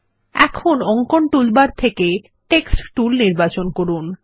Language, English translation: Bengali, From the Drawing toolbar, select the Text Tool